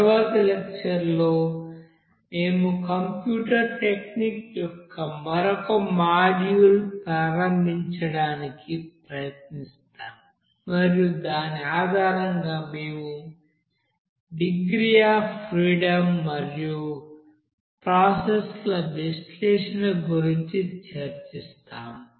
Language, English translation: Telugu, In the next lecture we will try to start another module of that you know computer techniques and based on which we will discuss about the degree of freedom and analysis for that processes and thank you for your attention for this lecture